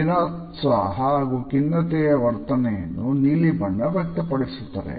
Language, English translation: Kannada, The blue expresses a melancholy attitude and suggest depression